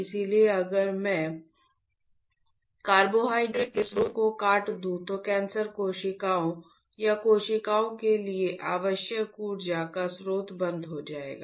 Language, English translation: Hindi, So, if I cut the source of carbohydrates then the source of the energy that the cancer cells or the cells require has been stopped